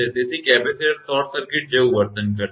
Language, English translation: Gujarati, So, capacitor will behave like a short circuit